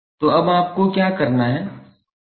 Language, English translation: Hindi, So, now what you have to do